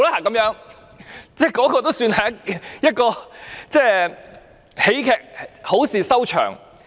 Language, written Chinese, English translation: Cantonese, 那次算是一齣喜劇，好事收場。, That case was sort of a comedy with a happy ending